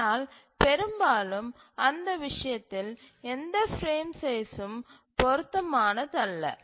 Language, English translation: Tamil, But often we will see that no frame size is suitable